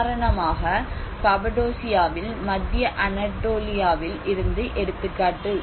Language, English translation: Tamil, For instance, in Cappadocia an example in the Central Anatolia